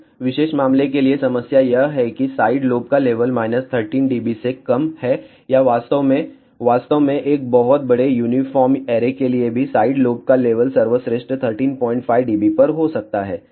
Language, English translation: Hindi, For this particular case the problem is that side lobe levels are less than minus 13 dB or so in fact, in fact even for a very large uniform array side lobe level can be at best 13